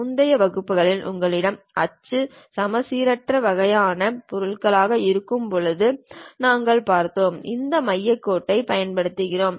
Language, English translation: Tamil, In the earlier classes we have seen when you have axis axisymmetric kind of objects, we use this center line